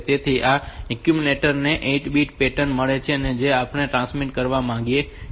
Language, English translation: Gujarati, So, we are and this accumulator has got the 8 bit pattern that we want to transmit